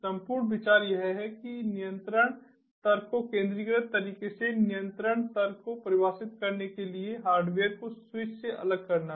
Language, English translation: Hindi, the whole idea is to separate the control logic from the hardware switches, to define the control logic in a centralized manner